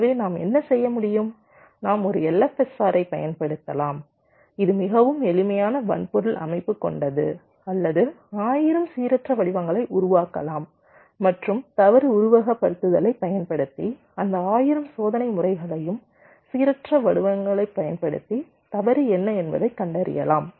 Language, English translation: Tamil, so what we can do, we can use an l f s r it's a very simple hardware structure or say we can generate one thousand random patterns and using fault simulation we can find out that using those one thousand test patterns, random patterns, what is the fault coverage